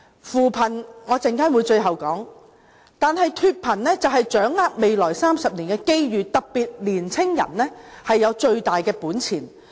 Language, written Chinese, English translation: Cantonese, 稍後我會說一說扶貧，但說回脫貧，便要掌握未來30年的機遇，這方面年青人有最大本錢。, I shall say a few words on poverty alleviation a moment later . But back to the issue of shaking off poverty I think it all depends on the grasping of opportunities in the next 30 years . In this regard young people have the biggest advantage